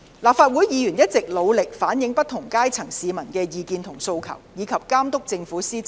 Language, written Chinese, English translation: Cantonese, 立法會議員一直努力反映不同階層市民的意見和訴求，以及監督政府的施政。, Legislative Council Members have always strived to convey the views and demands voiced by people from all walks of life and monitor the governance of the Government